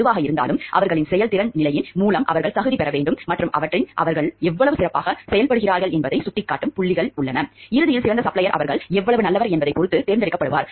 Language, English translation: Tamil, Where whatever it is they have to qualify through their performance level and there are pointers points associated with their and ultimately the best supplier gets selected based on their how good they are